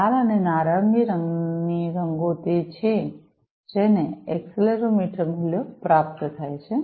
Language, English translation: Gujarati, The red and the orange colored ones are the ones, which are getting the accelerometer values, right